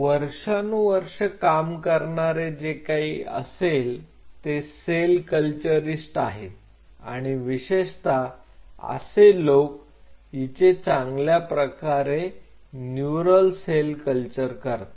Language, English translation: Marathi, Now, one of the thing which over the years cell culturist have done especially those people who are good at neural cell culture